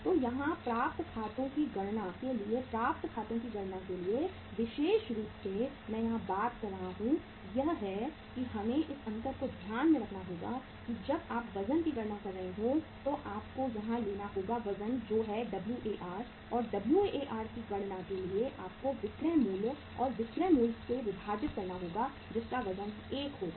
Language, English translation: Hindi, So here for calculating the accounts receivable, for calculating the accounts receivable especially I am talking here is that we have to keep the difference in mind that when you are calculating the weights you will have to say uh take the weight that is the War for calculating War you have to divide the selling price by selling price and the weight will be 1